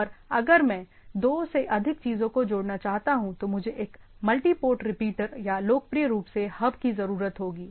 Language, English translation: Hindi, And if I want to connect more than two things, then I require a multi port repeater or popularly we called as a hub